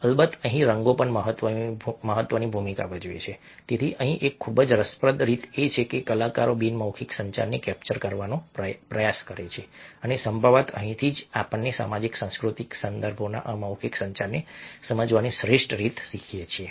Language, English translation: Gujarati, so here is a very interesting way, a that artists try to capture non verbal communication, and probably that is where we learn the best way to understand non verbal communication in social, cultural contexts